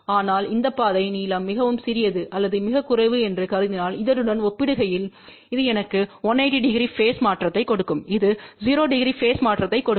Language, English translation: Tamil, But assuming that this path length is very small or negligible in comparison to this, so this will give me 180 degree phase shift this will give 0 degree phase shift